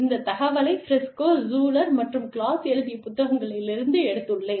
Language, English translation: Tamil, I have taken this information, from a book, written by Briscoe, Schuler, and Claus